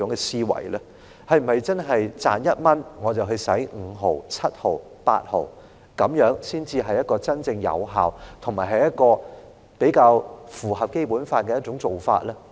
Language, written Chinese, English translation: Cantonese, 是否真的是賺1元，我便花5毫、7毫、8毫，這樣才是真正有效及符合《基本法》的做法？, Is it true that spending fifty seventy or eighty cents out of every dollar earned is really an effective practice in line with the Basic Law?